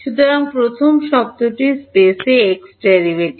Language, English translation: Bengali, So, first term is E x derivative in space